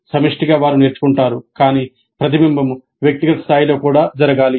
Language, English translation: Telugu, Collectively they learn but this reflection must occur at individual level also